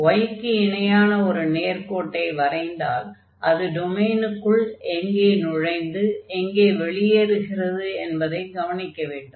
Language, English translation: Tamil, So, changing for y we have to now draw a line parallel to the y axis and see where it enters the domain and where it exit the domain